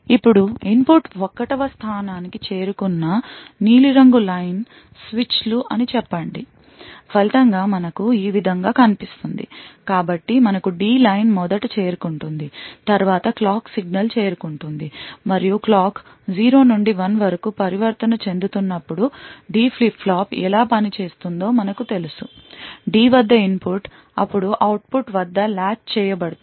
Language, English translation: Telugu, Now let us say that the blue line switches connected to that the input reaches 1st, as a result we would have something which looks like this so we have the D line reaching first then the clock signal reaching and as we know how a D flip flop works when the clock transitions from 0 to 1, the input at D is then latched at the output